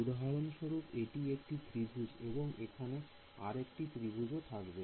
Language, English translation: Bengali, So, this is 1 triangle for example, there will be another triangle over here